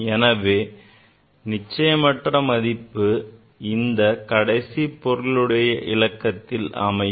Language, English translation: Tamil, Uncertainty will be in this in this last significant figure